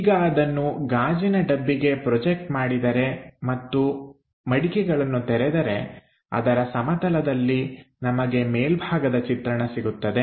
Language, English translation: Kannada, Now project that onto that glass box plane and flip that plane then we will have a top view